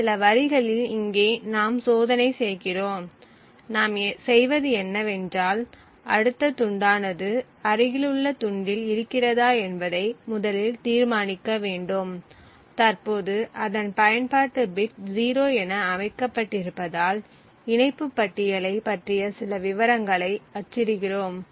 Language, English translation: Tamil, So we do this check over here in these few lines, what we do is that we first determine if the next chunk that is present in the adjacent chunk that is present has its in use bit set to 0, if so then we print some details about the link list that ptmalloc maintains